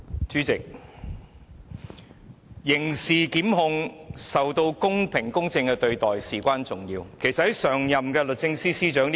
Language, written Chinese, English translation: Cantonese, 主席，刑事檢控是必須公平公正處理的工作，此事至關重要。, President it is of vital importance that criminal prosecutions must be handled in a fair and impartial manner